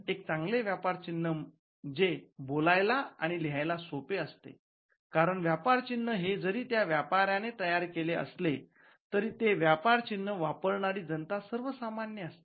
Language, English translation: Marathi, A good trademark as a mark that is easy to speak and spell, because at the end of the day a trader though he coins the trademark it should be used by the users or the general public